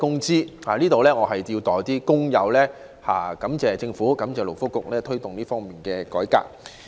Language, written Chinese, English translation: Cantonese, 就此，我要代表工友感謝政府及勞工及福利局推動這項改革。, In this regard on behalf of our workers I must thank the Government and the Labour and Welfare Bureau for taking forward this reform